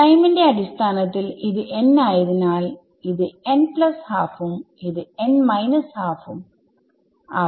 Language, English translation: Malayalam, In terms of time since this is say n, this is n plus half and this is n minus half ok